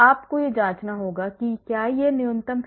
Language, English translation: Hindi, you have to cross check whether it is minimum